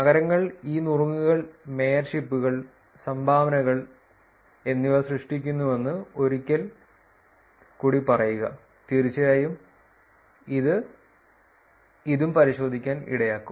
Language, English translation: Malayalam, Once again to say that cities generate a lot of these tips mayorships and dones and of course, this would also probably lead in to check ins also